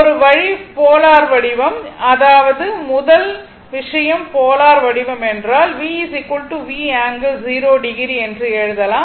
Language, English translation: Tamil, So, one way one one thing is that polar form, I mean first thing is the polar form if you write v is equal to V angle theta